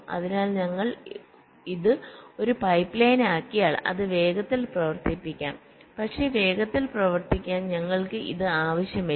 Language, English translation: Malayalam, so if we make it in a pipe line then it can be run faster, but we do not need it to run faster